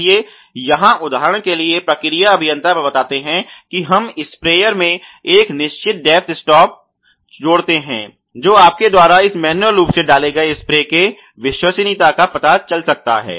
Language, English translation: Hindi, So, here for example, the processes engineer points out that if we add a positive depths stop to the sprayer then there may be chance of you know the full proofing of this manually inserted spray head not inserted far enough ok